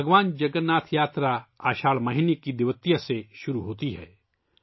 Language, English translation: Urdu, Bhagwan Jagannath Yatra begins on Dwitiya, the second day of the month of Ashadha